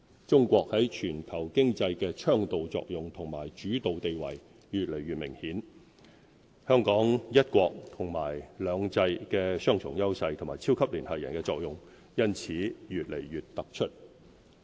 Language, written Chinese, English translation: Cantonese, 中國在全球經濟的倡導作用和主導地位越來越明顯，香港"一國"和"兩制"的雙重優勢和"超級聯繫人"的作用因此越來越突出。, China is playing an increasingly prominent and leading role in the global economy . Against this background Hong Kongs dual advantages of one country and two systems and its role as the super - connector are becoming more apparent